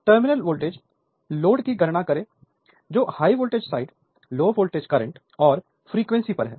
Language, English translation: Hindi, Calculate the terminal voltage or load that is on high voltage side, low voltage current and the efficiency right